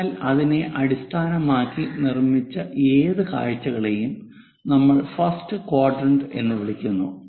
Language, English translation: Malayalam, So, any views constructed based on that we call first quadrant